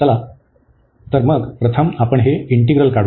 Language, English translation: Marathi, So, let us take the first one and then compute this integral